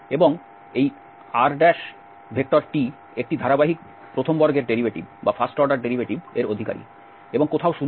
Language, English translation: Bengali, And this rt possess a continuous first order derivatives and nowhere 0